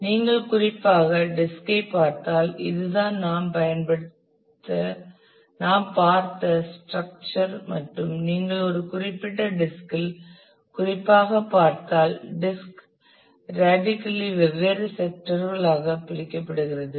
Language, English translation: Tamil, So, this is this is the structure we saw and if you specifically look into one particular disk then the disk is radially divided into different sectors portions